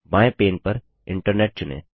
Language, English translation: Hindi, On the left pane, select Internet